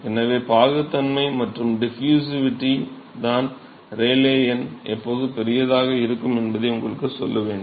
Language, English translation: Tamil, So, it is the viscosity and diffusivity which has to be tells you when the Rayleigh number is going to be significantly large